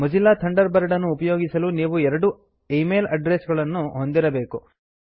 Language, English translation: Kannada, To use Mozilla Thunderbird,You must have at least two valid email addresses